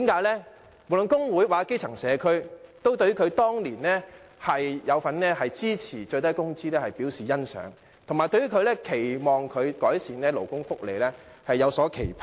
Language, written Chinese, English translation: Cantonese, 因為無論是工會或基層社區，均對他當年支持訂立最低工資表示欣賞，並且對他改善勞工福利有所期盼。, Because both the trade unions and the grass - roots communities appreciated his support for setting a minimum wage and they had expectations for him in the improvement of labour welfare